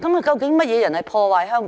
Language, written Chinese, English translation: Cantonese, 究竟甚麼人破壞香港？, Who is destroying Hong Kong?